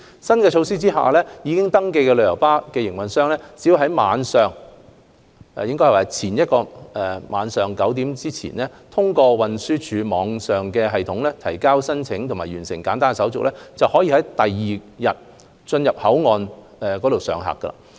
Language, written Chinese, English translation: Cantonese, 在新措施下，已登記的旅遊巴營辦商只要在前一天晚上9時前，通過運輸署網上系統提交申請及完成簡單手續，就可在第二天進入口岸上客區上客。, Under the new measures registered coach operators could enter BCF pick - up area to pick up passengers on any day provided that they had submitted an application and completed certain simple procedures via TDs online system by 9col00 pm the prior day